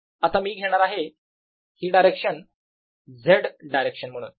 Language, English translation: Marathi, now i am going to take this direction to be the z direction